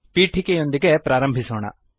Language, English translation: Kannada, Let us begin with an introduction